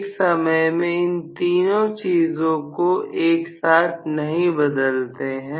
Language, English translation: Hindi, We do not to vary all 3 things at a time